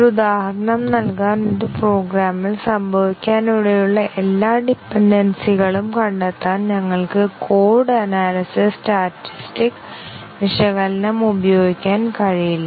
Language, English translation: Malayalam, We cannot use just code analysis statistic analysis to find all the dependencies that may occur in a program just to give an example